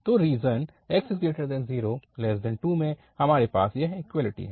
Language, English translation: Hindi, So, in the interval this 0 to 2, we have this equality